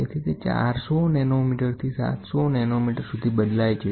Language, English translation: Gujarati, So, it varies from 400 nanometres to 700 nanometeres